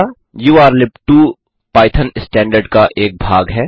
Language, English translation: Hindi, urllib2 is a part of the python standard library